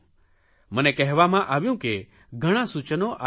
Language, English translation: Gujarati, I have been told that many suggestions have been received